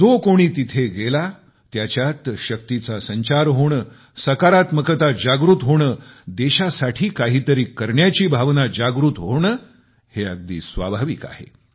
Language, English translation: Marathi, Whoever visits the place, naturally experiences a surge of inner energy, a sense of positivity; the resolve to contribute something to the country